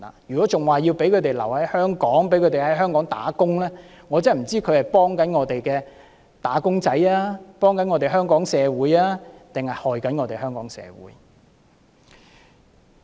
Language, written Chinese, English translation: Cantonese, 如果仍要讓他們留在香港，讓他們在香港工作，我不知道這些同事是幫助香港的"打工仔"，幫助香港社會，抑或傷害香港社會。, If Members still insist on allowing them to stay and to work in Hong Kong I wonder if you are helping wage earners in Hong Kong and the Hong Kong society or doing disservice to them